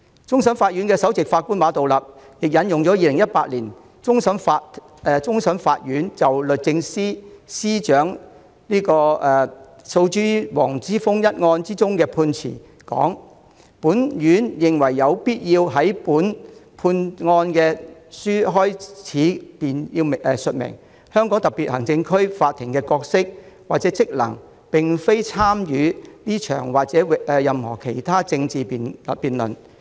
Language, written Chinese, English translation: Cantonese, 終審法院首席法官馬道立引用了2018年終審法院就律政司司長訴黃之鋒一案頒下的判詞："本院認為有必要在本判案書開首便述明，香港特別行政區法庭的角色或職能並非參與這場或任何其他政治辯論。, Chief Justice of CFA Mr Geoffrey MA cited the judgment given by CFA in 2018 in the case of Secretary for Justice v WONG Chi - fung It is important to state at the outset of this judgment that it is not the role or function of the courts of the Hong Kong Special Administrative Region HKSAR to enter into this or any other political debate